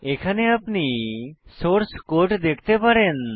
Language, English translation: Bengali, We can see the source code here